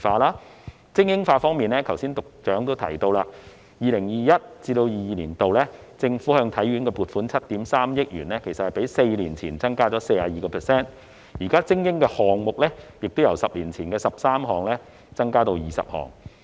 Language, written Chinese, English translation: Cantonese, 在精英化方面，局長剛才也提到，政府在 2021-2022 年度向體院撥款7億 3,000 萬元，較4年前增加 42%， 而精英項目亦由10年前的13項增至20項。, On supporting elite sports as the Secretary has just mentioned the Government has allocated 730 million to the Hong Kong Sports Institute in 2021 - 2022 which means a 42 % increase over the level of four years ago; also the number of elite sports has increased to 20 from 13 of 10 years ago